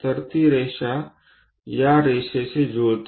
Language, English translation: Marathi, So, that line coincides with this line